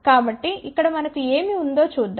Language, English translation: Telugu, So, let us see what we have over here